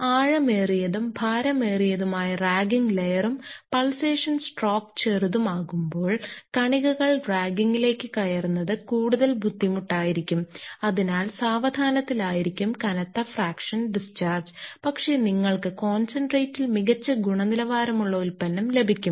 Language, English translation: Malayalam, The deeper and heavier the ragging layer and shorter the pulsation stroke, the more difficult it will be for particles to penetrate the ragging and hence the slower will be the heavy fraction discharge but you will get a better quality product in the concentrate